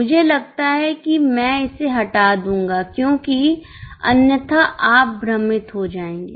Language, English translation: Hindi, I think I will delete this because otherwise you will get confused